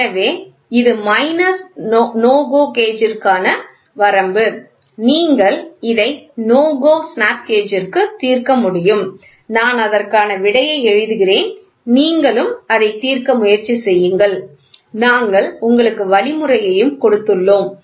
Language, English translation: Tamil, So, the limit for no GO gauge, you can solve it for no GO snap gauge I will just write the answer you can try it and we will give the working solution it is very same